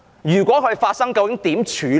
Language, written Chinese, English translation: Cantonese, 如果發生後應如何處理？, If it happens how will it be handled?